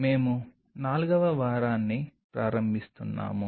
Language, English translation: Telugu, We are starting the 4th week